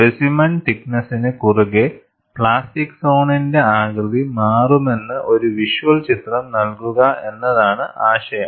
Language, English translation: Malayalam, The idea is to give a visual picture that the plastic zone shape would change over the thickness of the specimen